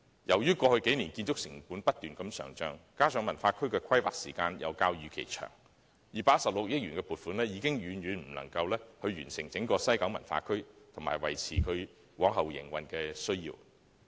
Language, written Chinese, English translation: Cantonese, 由於過去數年建築成本不斷上漲，加上文化區的規劃時間較預期長 ，216 億元的撥款已經遠遠不足以完成整項西九文化區計劃，以及維持其日後的營運。, Owing to the rising construction costs in the past couple of years coupled with the longer - than - expected planning for WKCD the 21.6 billion funding has fallen far short of completing the entire WKCD project and sustaining its future operation